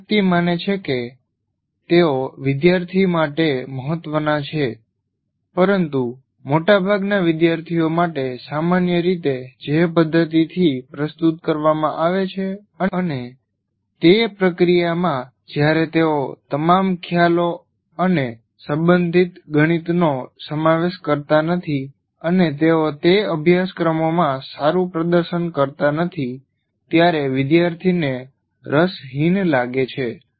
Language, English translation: Gujarati, These are all, everybody considers them important and the way generally it is presented, most of the students find it not interesting enough and in the process when they do not absorb all the concepts or mathematics of that, they do not perform well in those courses